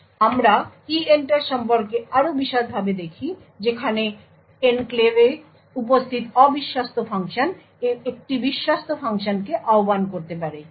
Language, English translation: Bengali, So, we look more in detail about EENTER where untrusted function could invoke a trusted function which present in the enclave